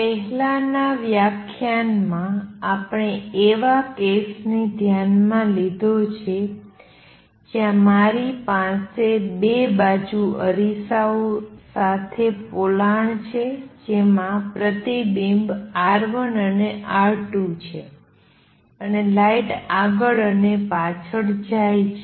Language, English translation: Gujarati, The previous lecture we considered case where I have a cavity with mirrors on two sides with reflectivity R 1 and R 2 and light going back and forth